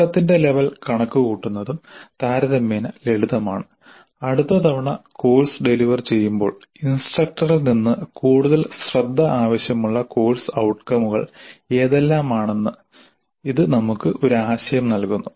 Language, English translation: Malayalam, So computing the attainment level is also relatively simple and it does give as an idea as to which are the course outcomes which need greater attention from the instructor the next time the course is delivered